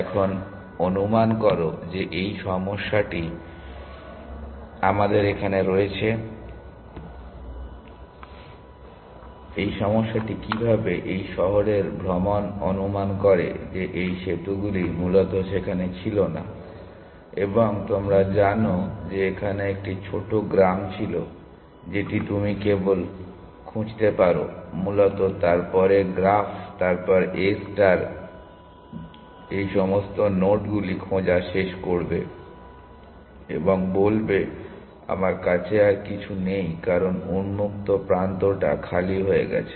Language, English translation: Bengali, Now supposing the supposing in this problem that we have here, which is this problem how this city travel supposing this bridges were not there essentially, and you know there was a small hamlet here, which you could only explore that essentially then the graph then A star would end of exploring all those nodes and say i have nothing else explore because open has become empty